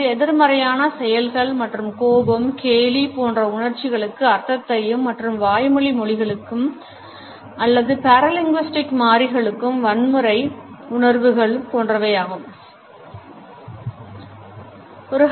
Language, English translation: Tamil, It adds to the meaning of negative attitudes and feelings like anger ridicule etcetera as well as violent emotions to verbal languages or paralinguistic alternates